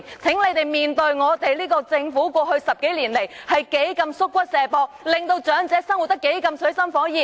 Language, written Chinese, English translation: Cantonese, 請這些議員正視我們這個政府過去10多年來多麼"縮骨卸膊"，令長者生活得多麼水深火熱。, May these Honourable colleagues squarely face up to how evasive this Government has been in the past 10 years and more which has put elderly persons in dire straits